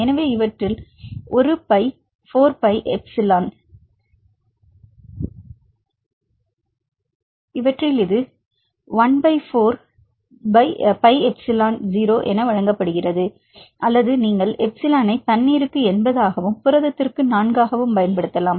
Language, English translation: Tamil, So, in these it given as 1 by 4 pi epsilon 0 or you can use the epsilon as 80 for the water and 4 for the protein